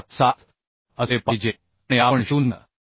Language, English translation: Marathi, 77 and we have calculated as 0